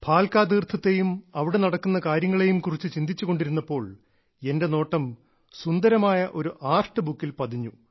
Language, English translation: Malayalam, I was thinking of Bhalaka Teerth and the works going on there when I noticed a beautiful artbook